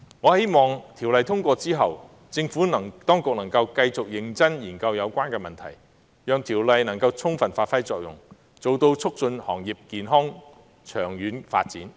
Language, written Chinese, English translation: Cantonese, 我希望在《條例草案》通過後，政府當局能繼續認真研究有關問題，讓有關條例能夠充分發揮作用，達到促進行業健康及長遠發展的目的。, I hope that after the passage of the Bill the Administration will continue to seriously review the problems so that the Bill can adequately perform its functions and achieve the objective of promoting the healthy and long - term development of the industry